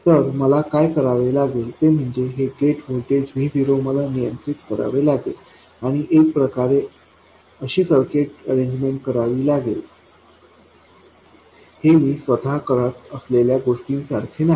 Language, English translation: Marathi, So, what I have to do is this is the gate voltage VG, and I have to control control that and somehow come up with a circuit arrangement